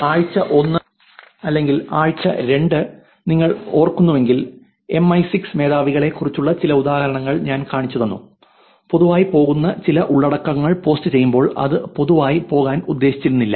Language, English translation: Malayalam, If you remembered even in the week 1 or week 2, I showed you some examples about MI6 chiefs while posting some content that went public, where it was not intended to go public